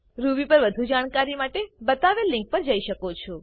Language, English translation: Gujarati, To get more help on Ruby you can visit the links shown